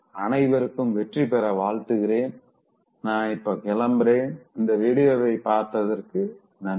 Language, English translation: Tamil, Wish you all success, and I take leave of you now, thank you for watching this video